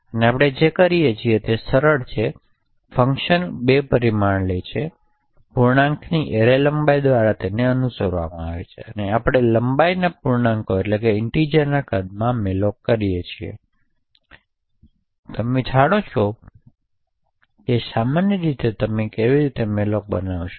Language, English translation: Gujarati, What we do is simple the function takes 2 parameters and integer array followed by the length and then we malloc length into the size of integer, so this as you would know would be typically how you would create a malloc